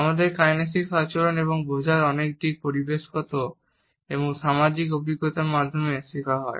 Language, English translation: Bengali, Many aspects of our kinesic behavior and understanding are learned through environmental and social experiences